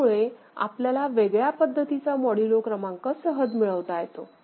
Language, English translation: Marathi, So, we can get a different kind of modulo number easily